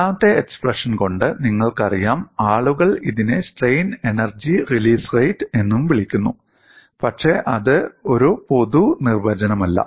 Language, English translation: Malayalam, By looking at the second expression, people also called it as strain energy release rate, but that is not a generic definition